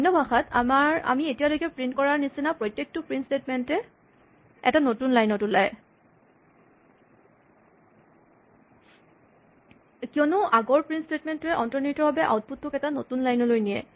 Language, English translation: Assamese, In other words, every print statement, we just print the way we have done so far, appears on a new line because the previous print statement implicitly moves the output to a new line